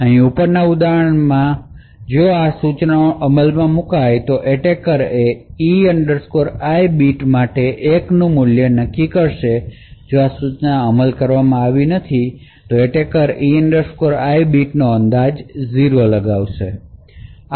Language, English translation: Gujarati, Example over here, if these instructions have executed then the attacker would infer a value of 1 for that E I bit of key, if these instructions have not been executed then the attacker will infer that the E I bit is 0